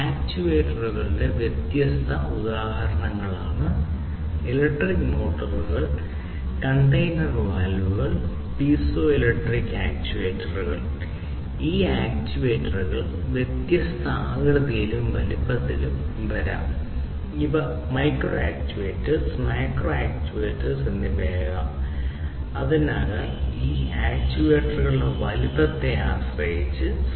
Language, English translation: Malayalam, These are different, different examples electric motors, solenoid valves, hard drives, stepper motor, comb drive, then you have hydraulic cylinder, piezoelectric actuator, pneumatic actuators, these are different, different types of actuators